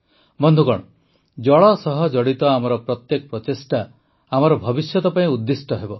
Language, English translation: Odia, Friends, every effort related to water is related to our tomorrow